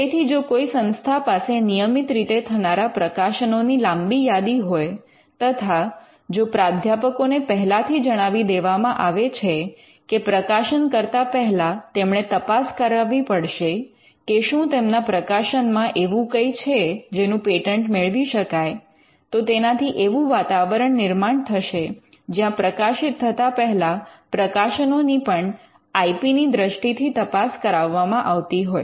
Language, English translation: Gujarati, So, if some if the institute has a long list of publications happening at regular intervals and if the professors are informed that before you publish you have to actually do a screening on whether something can be patented then that will set a culture where the publications before they get published are also screened for IP